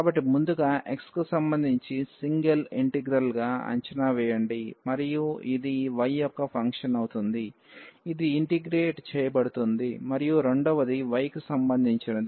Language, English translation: Telugu, So, first evaluate the singer integral with respect to x and this will be function of y, which can be integrated and second the step with respect to y